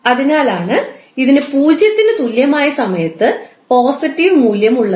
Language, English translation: Malayalam, So that is why it is having some positive value at time t is equal to 0